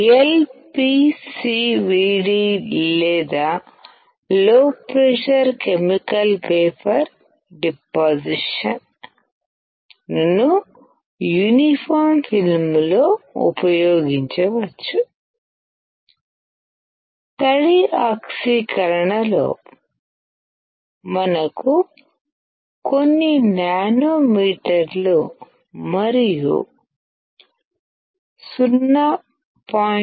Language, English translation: Telugu, LPCVD or low pressure chemical vapor deposition can be used in uniform film thickness because of the low deposition rate